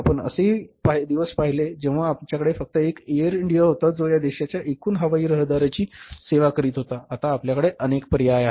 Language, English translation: Marathi, One are the days that when we had only say one air India who was serving the total air traffic of this country now we have the multiple choices with us